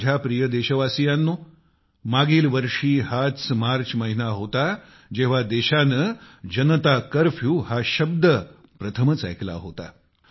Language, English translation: Marathi, My dear countrymen, last year it was this very month of March when the country heard the term 'Janata Curfew'for the first time